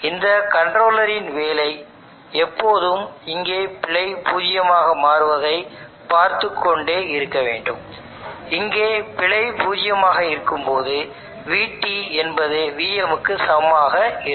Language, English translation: Tamil, The job of this controller is to always see that the error here becomes zero, the error here is zero VT will be same as VM